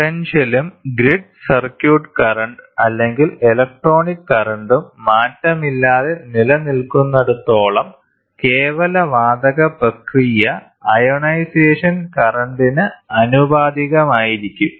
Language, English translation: Malayalam, As long as the potential and the grid circuit current or the electronic current remains unchanged the absolute gas process will be proportional to the ionization current